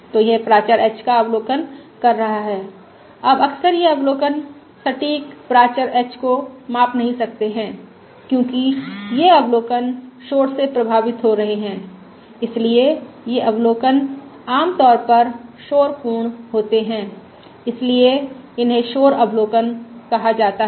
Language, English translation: Hindi, now, frequently these observations cannot measure the exact parameter h, but these observations are going to be affected by the noise, so these observations are typically noisy, so these are called the noisy observations